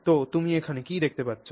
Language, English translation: Bengali, So, what do you see here